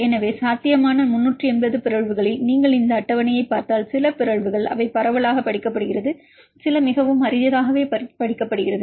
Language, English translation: Tamil, So, among the 380 possible mutations if you look into this table some mutations they study widely studied and some mutants very rarely studied some cases they are not have studied